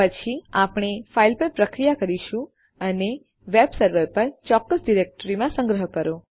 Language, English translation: Gujarati, Then we are going to process the file and save it in a specific directory on our web server